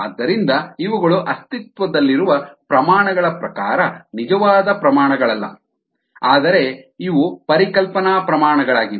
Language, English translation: Kannada, so these are not a actual quantities in terms of existing quantities, but these are conceptual quantities